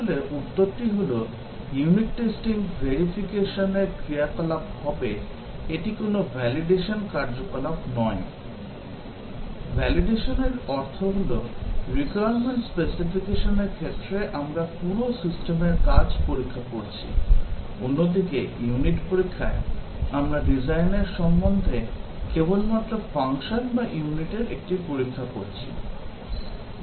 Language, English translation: Bengali, Actually, the answer is that, unit testing will be a verification activity; it is not a validation activity, because validation means, we are testing the working of the entire system, with respect to the requirement specification; whereas, in unit testing, we are testing only one of the functions or unit, with respect to the design